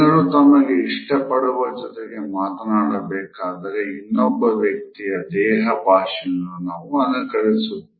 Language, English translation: Kannada, When people converse with people they like, they will mirror or copy the other person’s body language